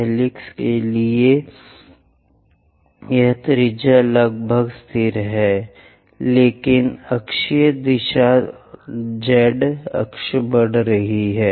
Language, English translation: Hindi, For helix, this radius is nearly constant, but axial directions z axis increases